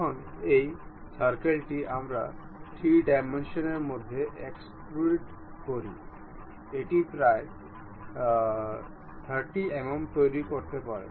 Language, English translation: Bengali, Now this circle we extrude it in 3 dimensions may be making it some 30 mm